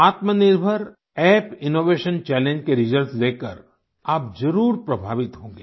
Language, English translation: Hindi, You will definitely be impressed on seeing the results of the Aatma Nirbhar Bharat App innovation challenge